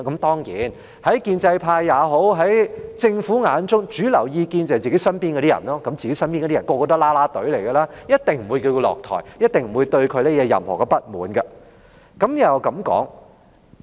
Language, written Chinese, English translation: Cantonese, 當然，在建制派或政府眼中，主流意見便是身邊的人，他們全都是"啦啦隊"，一定不會要她下台，一定不會對她有任何不滿。, Of course in the eyes of the pro - establishment camp or the Government the mainstream opinion is the opinion of toadies around them . These people are all in the cheering team; they definitely will not ask her to step down and they definitely will not hold any grudge against her